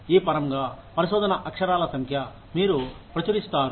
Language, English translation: Telugu, In terms of this, number of research papers, you publish